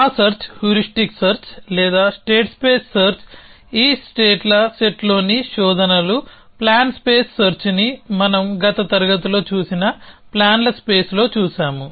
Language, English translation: Telugu, That search heuristic search or set space search searches in this set of states plan space search that we saw in the last class searches in the space of plans